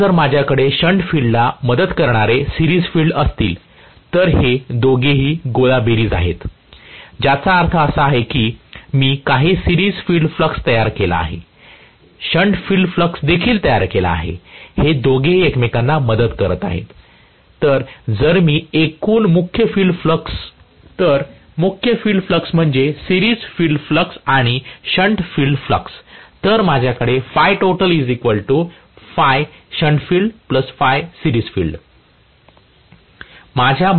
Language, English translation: Marathi, Now, if I have the series field aiding the shunt field, both of them are additive, what I mean is I have some series field flux created, shunt field flux also created, both of them are aiding each other, so if I look at the total main field flux, the main field flux is addition of the series field flux plus shunt field flux